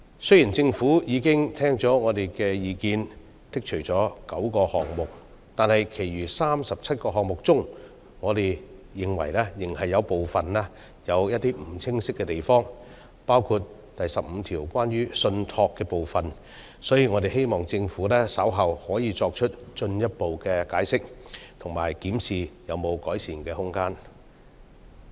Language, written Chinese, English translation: Cantonese, 雖然政府已經聽取我們的意見，剔除了9項罪類，但在其餘37項罪類，我們認為仍有不清晰的地方，包括第15項關於"信託"的部分，我們希望政府稍後可作進一步解釋，以及檢視是否有改善的空間。, Although the Government has taken our view on board by removing nine items of offences we still notice some ambiguities in the remaining 37 items of offences including offences against the law relating to trust in item 15 . We hope that the Government will further explain and examine if there is any room of improvement later